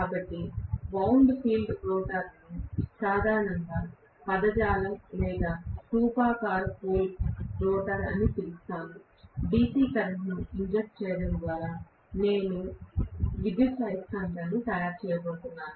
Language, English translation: Telugu, So, I would call wound field rotor as the common terminology for whether it is salient or cylindrical pole rotor, only thing is I am going to make an electromagnet by injecting DC current